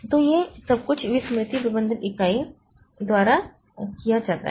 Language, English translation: Hindi, So, all these things they are done by the memory management unit